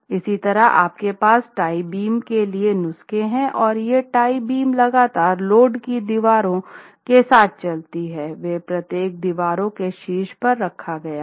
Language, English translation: Hindi, Similarly you have prescriptions for the tie beams and these tie beams must run continuously along all the load bearing walls